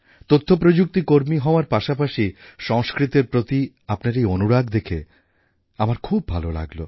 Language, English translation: Bengali, Alongwith being IT professional, your love for Sanskrit has gladdened me